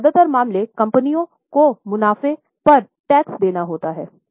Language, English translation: Hindi, Now, most of the cases, companies have to pay tax on profits